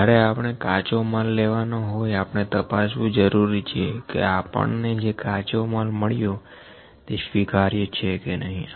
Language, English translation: Gujarati, When we have to get the raw material, we check that whether the raw material that we have received is that acceptable or not